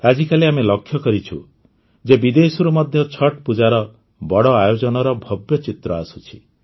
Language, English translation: Odia, Nowadays we see, how many grand pictures of Chhath Puja come from abroad too